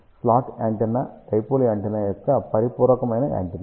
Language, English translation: Telugu, Slot antenna is complementary antenna of dipole antenna